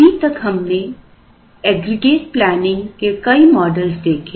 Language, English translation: Hindi, So far, we have seen several models for aggregate planning